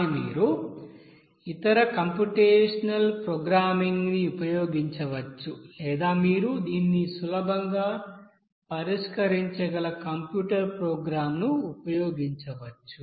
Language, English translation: Telugu, But you can do by you can use other computational you know programming or you can use that you know computer program by which you can you know solve this easily